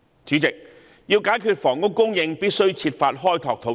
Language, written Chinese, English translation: Cantonese, 主席，要解決房屋供應，必須設法開拓土地。, President to resolve the problem of housing supply it is necessary to make every effort to explore land